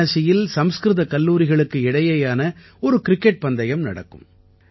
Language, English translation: Tamil, In Varanasi, a cricket tournament is held among Sanskrit colleges